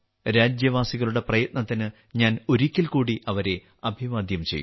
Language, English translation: Malayalam, I once again salute the countrymen for their efforts